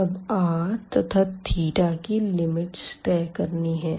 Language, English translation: Hindi, So, first let us put the limit of r